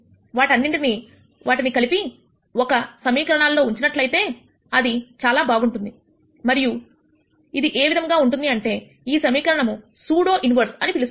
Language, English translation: Telugu, All of them if they can be subsumed in one expression like this it would be very nice and it turns out that there is an expression like that and that expression is called the pseudo inverse